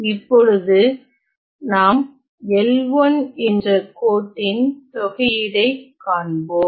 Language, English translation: Tamil, Now let us look at the integral over the line L 1 ok